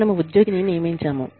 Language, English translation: Telugu, We have recruited employee